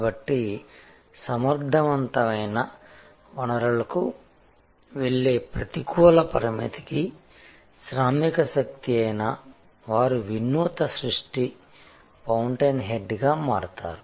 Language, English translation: Telugu, So, whether it is the workforce for the negative constraint going to efficient resource, they become they innovative creation fountain head